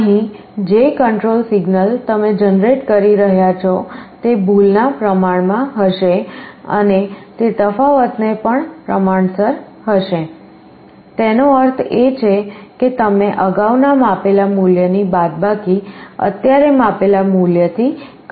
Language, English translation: Gujarati, Here the control signal that you are generating will be proportional to the error plus it will also be the proportional to the difference; that means, you are measured value previous minus measured value present, this is your derivative